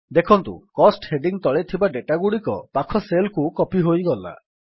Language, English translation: Odia, You see that the data under the heading Cost gets copied to the adjacent cells